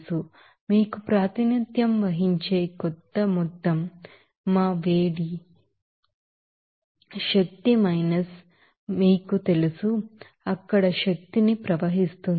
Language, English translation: Telugu, So, net energy will be you know that some amount that is represented by you know, our heat energy minus, you know, flow energy there